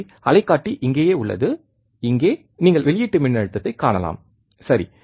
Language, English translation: Tamil, So, oscilloscope is right here, and here you can see the output voltage, right